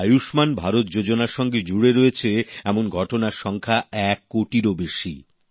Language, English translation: Bengali, A few days ago, the number of beneficiaries of 'Ayushman Bharat' scheme crossed over one crore